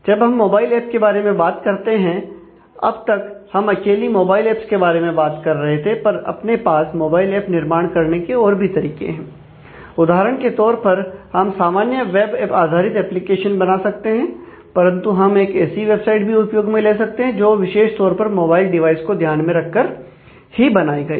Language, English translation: Hindi, So, when we talking about mobile apps, we have talking about stand alone mobile apps, there are other ways of developing applications also for example, we can do a typical web based application, but we can use a website which is specifically designed catering to the mobile devices